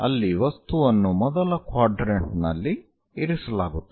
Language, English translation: Kannada, So, a box located in the first quadrant